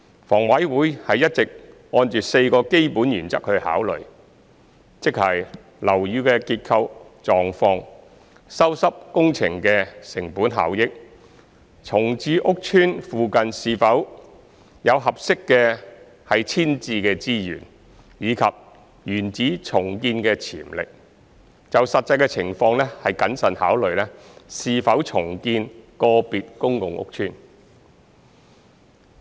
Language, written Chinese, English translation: Cantonese, 房委會一直按4個基本原則考慮，即樓宇的結構狀況、修葺工程的成本效益、重建屋邨附近是否有合適的遷置資源，以及原址重建的潛力，就實際情况謹慎考慮是否重建個別公共屋邨。, HA has all along carefully considered redevelopment of individual PRH estates based on four basic principles ie . structural conditions of buildings cost - effectiveness of repair works availability of suitable rehousing resources in the vicinity of the estates to be redeveloped and build - back potential upon redevelopment having regard to the actual circumstances